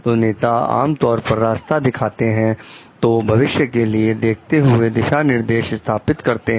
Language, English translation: Hindi, So, leaders generally show the way, so establish direction by creating a vision for the future